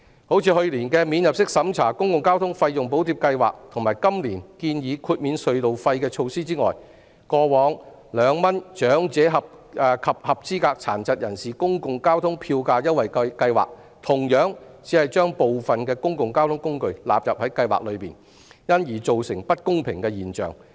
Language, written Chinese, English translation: Cantonese, 除了去年的"免入息審查的公共交通費用補貼計劃"和今年建議豁免隧道費的措施外，過往長者及合資格殘疾人士公共交通票價優惠計劃同樣只將部分公共交通工具納入計劃內，因而造成不公平現象。, Apart from the non - means - tested Public Transport Fare Subsidy Scheme introduced last year and the tunnel toll waiver scheme suggested this year the Government Public Transport Fare Concession Scheme for the Elderly and Eligible Persons with Disabilities implemented some years ago has also only covered some of the public transport services thus making it unfair to the other transport services